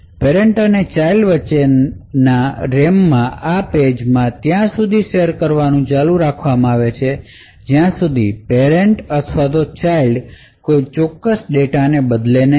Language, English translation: Gujarati, These pages in the RAM between the parent and the child continue to be shared until either the parent or the child modifies some particular data